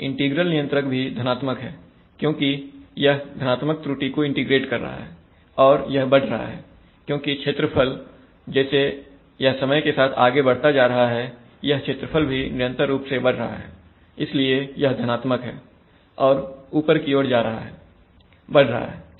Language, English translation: Hindi, Integral controller is also positive because it is integrating positive error and it is increasing because the, because the area, as it is going with time this area is continuously increasing, so it is positive and going up, increasing, right